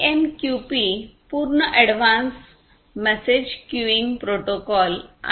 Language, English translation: Marathi, So, AMQP full form is Advanced Message Queuing Protocol